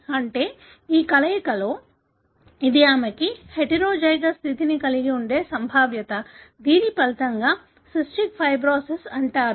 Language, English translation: Telugu, That is, in this combination this is a probability of her having the heterozygous condition which results in the, what is called as cystic fibrosis